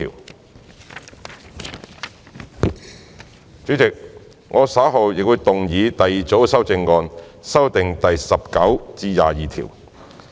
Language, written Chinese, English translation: Cantonese, 代理主席，我稍後會動議第二組修正案，修正第19至22條。, Deputy Chairman I will move the second group of amendments later to amend clauses 19 to 22